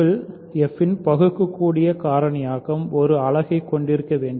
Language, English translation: Tamil, So, any reducible factorization of f must contain a unit